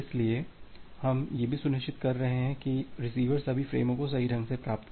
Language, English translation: Hindi, So, we are also ensuring that the receiver receives all the frames correctly